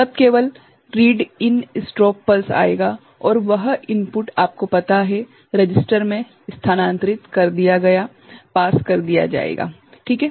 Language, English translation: Hindi, Then only a READ IN strobe pulse will come and that input will be you know, passed to the, shifted to the register ok